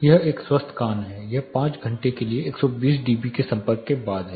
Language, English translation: Hindi, This is a healthy ear this is after an exposure of 120 dB for 5 hours